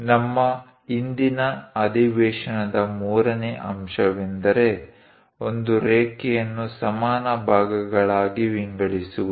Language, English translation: Kannada, The third point objective for our today's session is; divide a line into equal parts